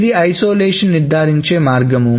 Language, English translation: Telugu, So that is called an isolation